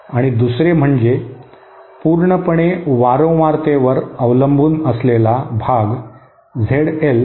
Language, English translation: Marathi, And another purely frequency dependent part Z L